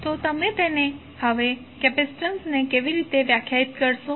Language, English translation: Gujarati, So, how you will define capacitance now